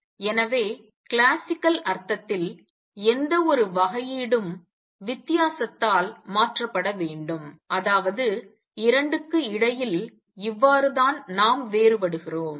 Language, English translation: Tamil, So, any differentiation in classical sense must be replaced by difference that is how we distinguish between the 2